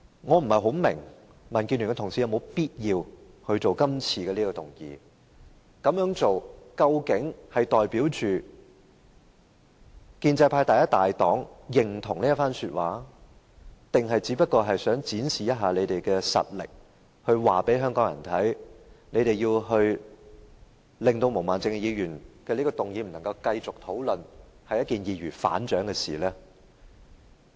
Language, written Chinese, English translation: Cantonese, 我不大明白民建聯議員是否有必要提出這項議案，這樣做究竟是代表建制派第一大黨認同這一番說話，還是只想展示實力，告訴香港人他們要令毛孟靜議員的議案不能繼續討論下去，是一件易如反掌的事情？, I cannot quite understand why it is necessary for Members from DAB to move such a motion . Does it mean that as the largest political party of the pro - establishment camp they agree with the remarks made? . Or is it just an attempt to prove to Hong Kong people that it is just a piece of cake for them to terminate the discussions on Ms Claudia MOs motion?